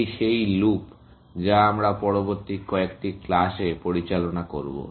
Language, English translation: Bengali, This is the loop that in which we will operate, in the next few classes